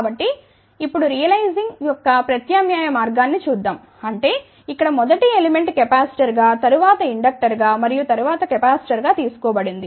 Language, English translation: Telugu, So, now let just look at alternate way of realizing; that means, here first element has been taken as capacitor, then inductor and then capacitor